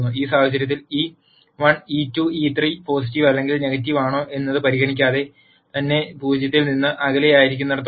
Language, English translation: Malayalam, In this case notice irrespective of whether e 1 e 2 e 3 are positive or negative as long as they are away from 0